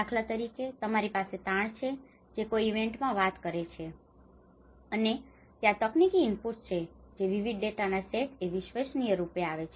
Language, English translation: Gujarati, Like for instance, you have the stresses which talks from an event, and there is a technical inputs which the data different sets of data come into forms the credible